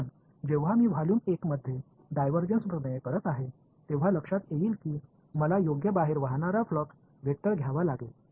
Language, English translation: Marathi, But when I am doing the divergence theorem to volume 1, you notice that I have to take the correct out going flux vector right